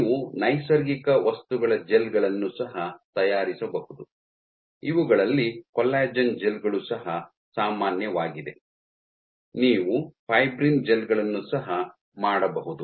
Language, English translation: Kannada, You can also make gels of natural materials, these would even among the most common is collagen gels, can make fibrin gels also